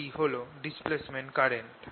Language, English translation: Bengali, that is a displacement current